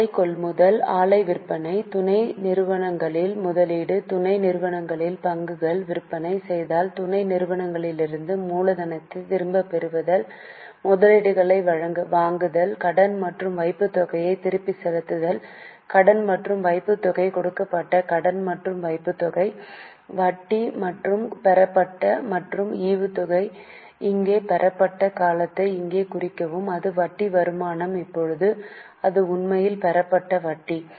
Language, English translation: Tamil, Purchase of plant, sale of plant, investment in subsidiary, sale of sale of shares in subsidy return of capital from subsidiary purchase or investments purchase or sale of investment repayment of loan and deposits loan and deposits given interest and received and dividend received mark here the term received here it was interest income